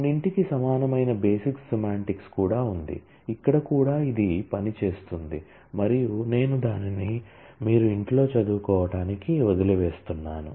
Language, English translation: Telugu, Similar to some there is a basic semantics of all which is also worked out here and I leave that to your study at home